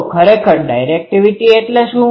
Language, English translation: Gujarati, , and what is the directivity